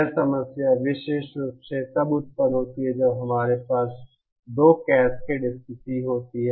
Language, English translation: Hindi, This problem arises specially when we have 2 cascade status